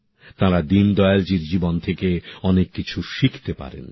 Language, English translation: Bengali, Deen Dayal ji's life can teach them a lot